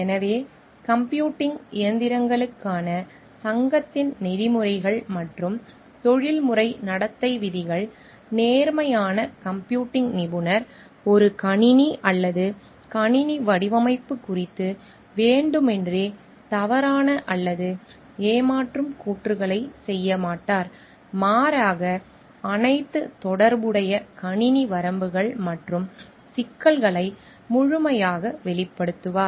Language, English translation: Tamil, So, the Code of Ethics and Professional Conduct of the Association for Computing Machineries states the honest computing professional will not make deliberately false or deceptive claims about a system or a system design, but will instead provide full disclosure of all pertinent system limitations and problems